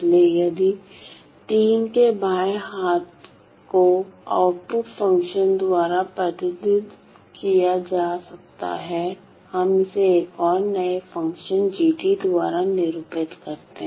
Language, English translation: Hindi, So, if the LHS of III can be represented by the output function let us denote it by another new function g of t